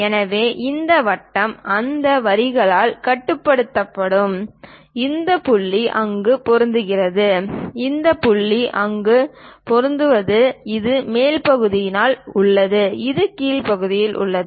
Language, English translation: Tamil, So, this circle will be bounded by these lines and this point matches there and this point matches there; this is on the top side, this is on the bottom side